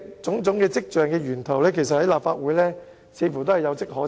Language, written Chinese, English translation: Cantonese, 種種跡象的源頭，在立法會似乎也有跡可尋。, The sources of such trends can also be found in the Legislative Council